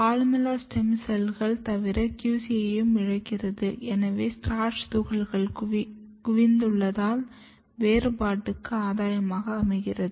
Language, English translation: Tamil, So, apart from the columella loss of columella stem cells, even QC has lost has accumulated the grain, so there is a gain of differentiation